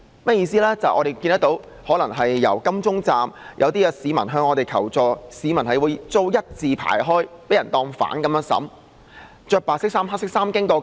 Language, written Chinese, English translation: Cantonese, 因為當晚在金鐘站，一些市民向我們求助，表示他們被警員要求一字排開，被當作罪犯般審問。, In that evening at the Admiralty Station of MTR some citizens sought assistance from us saying that they were requested by police officers to stand in a line and be interrogated as if they were criminals